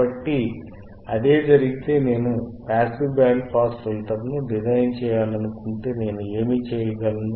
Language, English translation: Telugu, So, if this is the case and if I want to design passive band pass filter, then what can I do